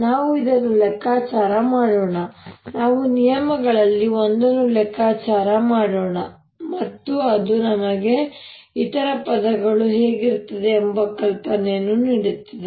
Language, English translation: Kannada, lets calculate one of the terms and that'll give us an idea what the other terms will be like